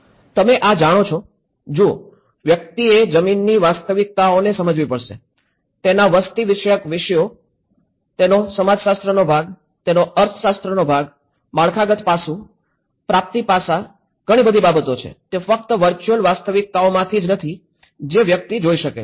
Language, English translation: Gujarati, You know this is; see, one has to understand the ground realities, the demographics of it, the sociology of it, the economics part of it, the infrastructural aspect, the procurement aspect so many other things, it is not just only from the virtual reality which one can look at it